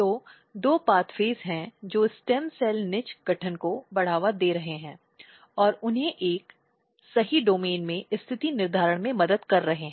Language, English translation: Hindi, So, here are there are two pathways which are promoting stem cell niche formation and helping them to position in a right domain